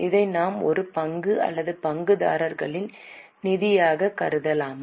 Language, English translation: Tamil, Shall we consider it as an equity or shareholders funds